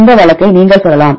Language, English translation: Tamil, Then this case you can say